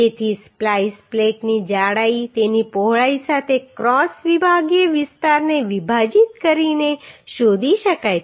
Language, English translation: Gujarati, Therefore the thickness of the splice plate can be found by dividing the cross sectional area with its width